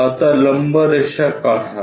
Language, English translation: Marathi, Now draw a perpendicular line